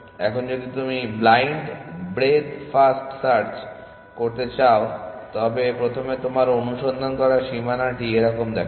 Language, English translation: Bengali, Now, if you want to do blind breadth first search your search boundary would look like this